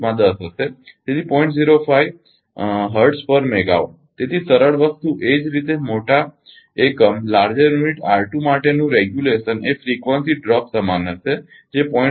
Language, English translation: Gujarati, 05 hertz per megawatt; so, simple thing similarly regulation for the larger unit R 2 will be frequency drop will remain same that is 0